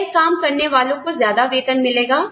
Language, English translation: Hindi, People doing this work, will get a higher pay